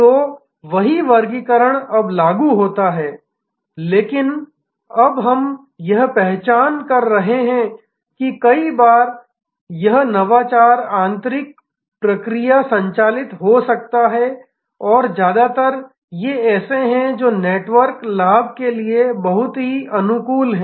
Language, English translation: Hindi, So, that same classification now applies, but we are now recognizing that many times this innovation can be internal process driven and mostly these are the ones which are very amenable to network advantages